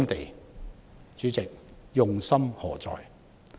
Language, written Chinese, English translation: Cantonese, 代理主席，他們用心何在？, Deputy President what is their intention?